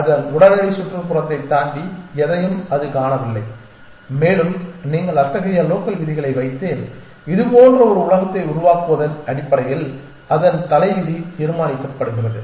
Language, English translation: Tamil, It does not see anything beyond its immediate neighborhood and that it its fate is decided base based on that essentially you put in such local rules and build a world like this